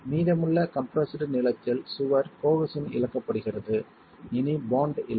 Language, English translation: Tamil, In the rest of the compressed length of the wall, cohesion is lost